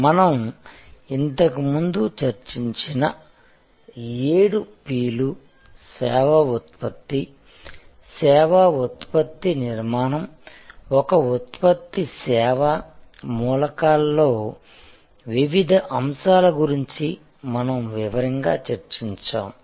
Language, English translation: Telugu, Now, of the seven P’s that we had discussed before, elements like the service product, the service product architecture, the constituting elements of service as a product we have discussed in detail